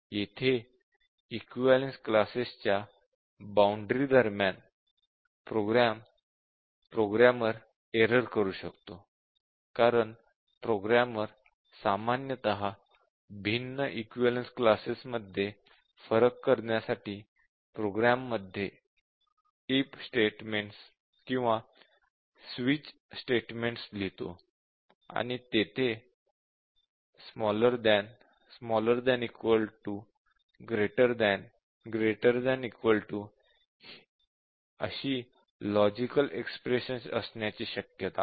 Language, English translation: Marathi, So, here between the boundaries of equivalence classes, the programmer might commit error, because the programmer typically writes programs to distinguish between different equivalence classes by if statements or switch statements